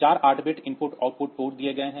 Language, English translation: Hindi, So, there must be some IO ports